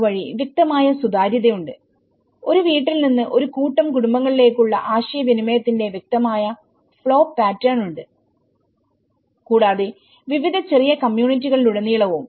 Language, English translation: Malayalam, In that way, there is a clear transparency and there is a clear the flow pattern of the communication from starting from a household to group of households to the community level and also, you know across various smaller communities